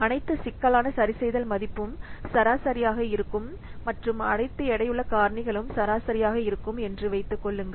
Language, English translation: Tamil, So, and assume that all the complexity adjustment values are average and all the weighting factors are average